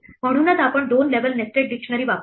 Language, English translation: Marathi, That is why we use a two level nested dictionary